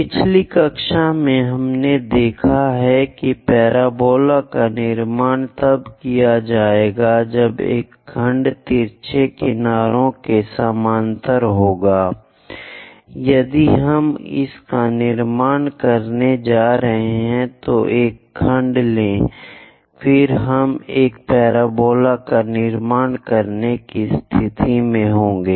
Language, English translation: Hindi, In the last classes, we have seen parabola will be constructed when a section parallel to one of the slant edges; if we are going to construct it, take a section, then we will be in a position to construct a parabola